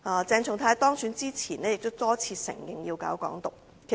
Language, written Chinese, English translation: Cantonese, 鄭松泰議員當選前也多次承認要搞"港獨"。, Before his election Dr CHENG Chung - tai had time and again admitted that he is an advocate for Hong Kong independence